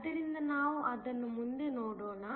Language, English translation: Kannada, So, let us take a look at it next